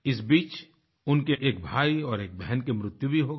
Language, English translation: Hindi, Meanwhile, one of his brothers and a sister also died